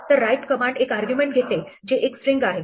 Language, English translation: Marathi, So, write takes an argument which is a string